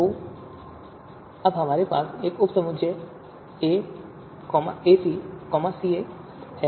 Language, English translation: Hindi, So now we have this subset capital A minus C1